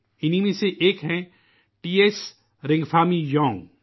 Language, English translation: Urdu, One of these is T S Ringphami Young